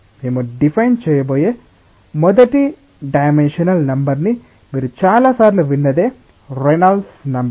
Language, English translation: Telugu, The first non dimensional number that we will be defining is something which you have heard many times is the Reynolds number